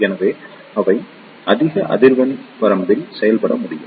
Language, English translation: Tamil, So, they can operate up to very high frequency range